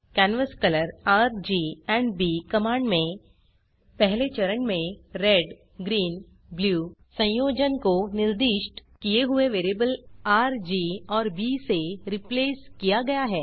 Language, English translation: Hindi, In the command canvascolor $R,$G, and $B , the Red Green Blue combination is replaced by the values assigned to the variables R, G, and B in the previous step